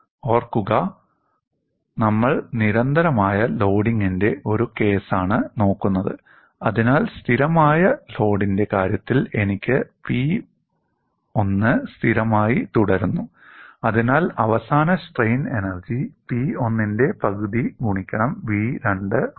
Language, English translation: Malayalam, Mind you, we are looking at a case of constant loading, so in the case of a constant load, I have P1 remains constant, so the final strain energy is half of P 1 into v2